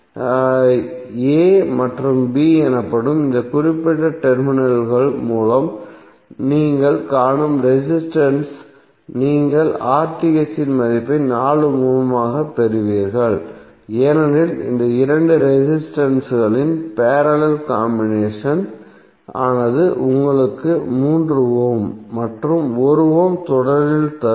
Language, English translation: Tamil, The resistance which you will see through these particular terminals that is a and b you will get the value of RTh as 4 ohm because the parallel combination of these two resistances would give you three ohm plus one ohm in series